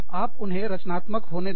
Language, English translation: Hindi, Let them, be creative